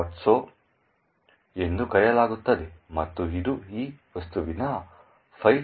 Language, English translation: Kannada, so and it comprises of this object file mylib